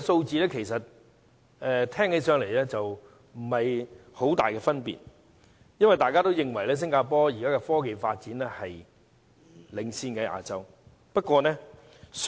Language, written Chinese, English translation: Cantonese, 這排名聽起來不覺有太大分別，因為大家也認為新加坡的科技發展一直在亞洲領先。, The difference in rankings does not seem to be significant for we all consider Singapore has been in the lead in technology development in Asia all along